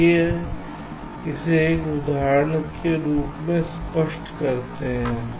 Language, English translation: Hindi, let me illustrate this with the help of an example